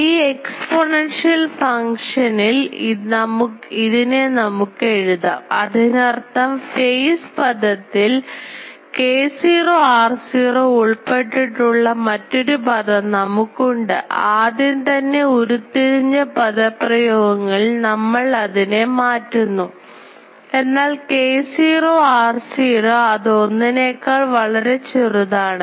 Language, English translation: Malayalam, So, this we can write here in the exponential function; that means, in the phase term we will have a term involving k naught r naught; when we substitute the already derived this expression, but k naught r naught will be less than 1